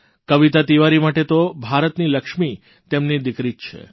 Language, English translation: Gujarati, For Kavita Tiwari, her daughter is the Lakshmi of India, her strength